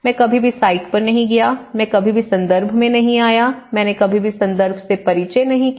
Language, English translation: Hindi, I have never been to the site, I never been to the context, I never introduced to the context